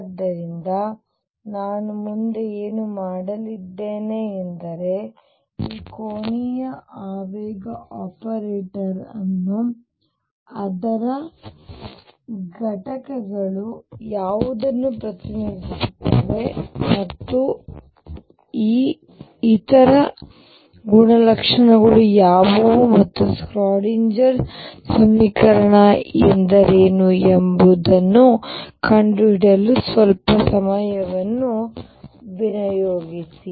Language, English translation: Kannada, So, what I am going to do next is devote some time to find out what this angular momentum operator is what its components are represented as and what are these other properties and what is the Schrodinger equation therefore, for particle moving in a spherically symmetric potential